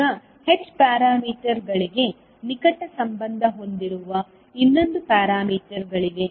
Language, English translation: Kannada, Now, there is another set of parameters which are closely related to h parameters